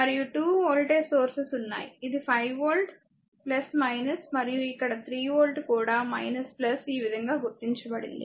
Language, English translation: Telugu, And 2 voltage sources are there, it is 5 volt plus minus and the 3 volt here also minus plus this way it has been marked